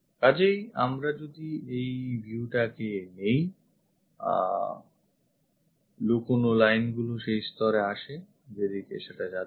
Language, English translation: Bengali, So, if we are picking this one, if we are picking this view; the hidden lines comes at that level which are that